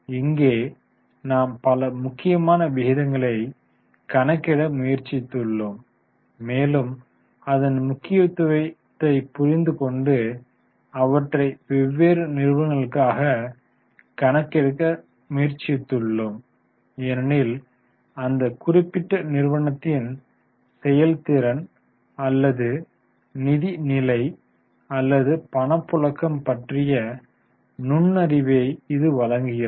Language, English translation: Tamil, So, here we have tried to calculate number of important ratios and try to understand the significance of the major ratios and try to work them out for different companies because that will give you insight about the performance or financial position or cash flow of that particular company